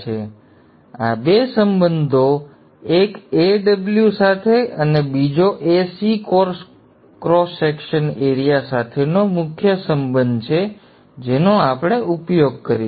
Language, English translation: Gujarati, Now these two relationships, one with AW and the AC core cross section area are the core relationships that we will use